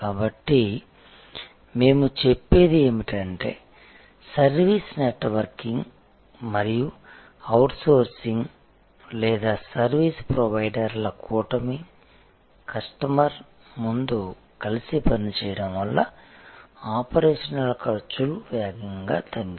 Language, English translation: Telugu, So, what we are saying is that the service networking and outsourcing or constellation of service providers together working in front of the customer has lead to rapid reduction of operational costs